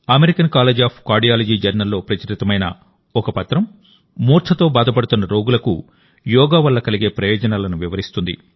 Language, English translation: Telugu, A paper published in the Journal of the American College of Cardiology describes the benefits of yoga for patients suffering from syncope